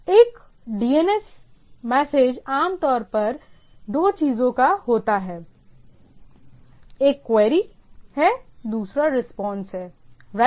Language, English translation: Hindi, DNS message is typically of two things one is query, another is response right